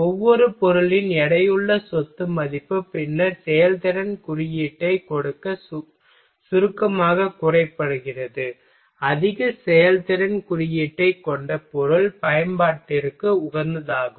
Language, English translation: Tamil, And the weighted property value of each material are then summed to give a performance index, the material with the highest performance index is optimum for the application